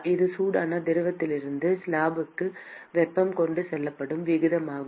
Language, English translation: Tamil, That is the rate at which the heat is being transported from the hot fluid to the slab